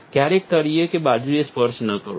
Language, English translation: Gujarati, Never touch the bottom, nor the sides